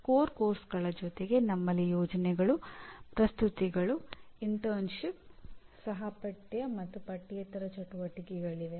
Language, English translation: Kannada, And so in addition to core courses we have projects, presentations, internship, co curricular and extra curricular activities